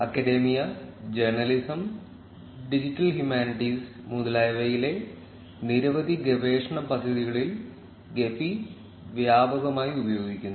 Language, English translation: Malayalam, Gephi is widely used in a number of research projects in academia, journalism, digital humanities etcetera